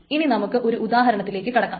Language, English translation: Malayalam, So now let us go to the example